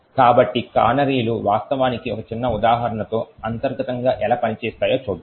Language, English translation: Telugu, So, let us see how the canaries actually work internally with a small example